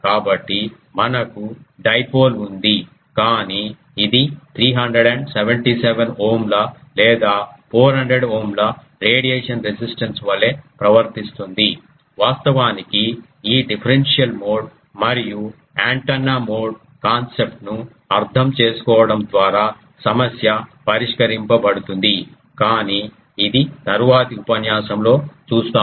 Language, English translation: Telugu, So, can we have a dipole, but it will behave as a 377 ohm or 400 ohm ah radiation resistance actually that problem will be solved by understanding this differential mode and antenna mode concept, but that is a for a later lecture